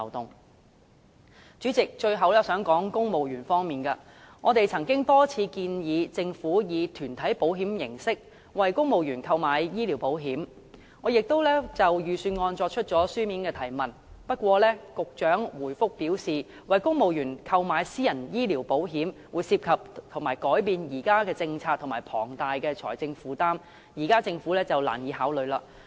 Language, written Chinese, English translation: Cantonese, 代理主席，最後我想談談在公務員方面，我們曾多次建議政府以團體保險形式，為公務員購買醫療保險，我亦曾就預算案作出書面質詢，不過局長答覆表示，為公務員購買私人醫療保險，涉及改變現行政策及龐大財政負擔，政府現階段難以考慮。, We have repeatedly proposed that the Government take out health insurance for civil servants in the form of group insurance . I have also asked about it in a written question on the Budget . But the Director of Bureau replied that procuring private health insurance for civil servants would constitute changes to the existing policy and create a significant financial burden